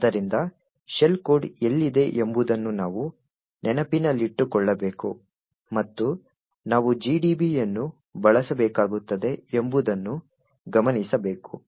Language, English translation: Kannada, So, we would require to know where exactly in memory the shell code is present and in order to notice we would need to use GDB